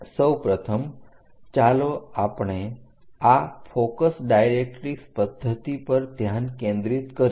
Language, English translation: Gujarati, First of all let us focus on this focus directrix method